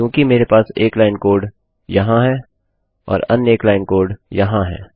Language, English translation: Hindi, Because I have one line of code here and another one line of code here